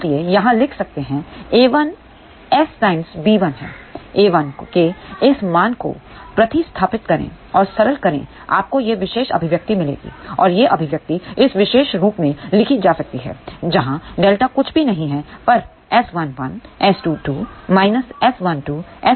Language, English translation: Hindi, So, from here we can write a 1 is gamma S times b 1, substitute this value of a 1 and simplify you will get this particular expression and this expression can be written in this particular form where delta is nothing but S 1 1 S 2 2 minus S 1 2 S 2 1